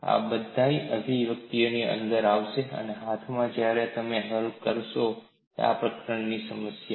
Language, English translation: Gujarati, All these expressions will come in handy, when you want to solve problems in this chapter